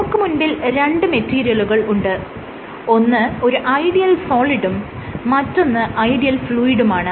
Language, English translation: Malayalam, So, we have two extremes an ideal solid and an ideal fluid ok